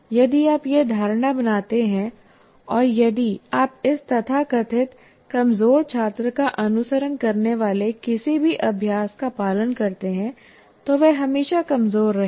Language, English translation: Hindi, Unfortunately, if you make that assumption and if any practice that you follow is based on this, the poor students, so called poor students will always remain poor